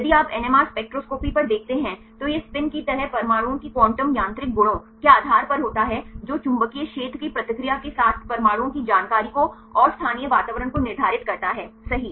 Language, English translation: Hindi, If you look on the NMR spectroscopy, this based on the quantum mechanical properties of atoms like the spin that determines information of the atoms right and the local environment right with response to the magnetic field